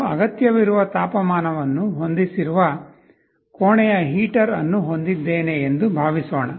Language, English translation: Kannada, Suppose I have a room heater where I have set a required temperature